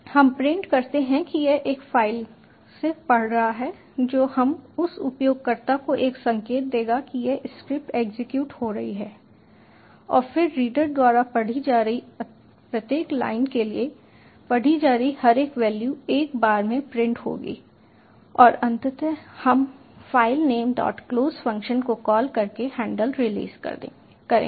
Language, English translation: Hindi, we print that it is reading from a file that is, we will just give a indicator to the user that this script is executing and then for each row being read by the reader, the value being read will be printed one at a time and eventually we will release the handle by calling the filename dot close function